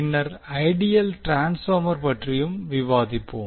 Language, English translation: Tamil, And then also we will discuss about the ideal transformer